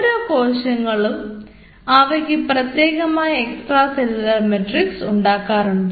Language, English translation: Malayalam, every cell [vocalized noise] secretes an unique extracellular matrix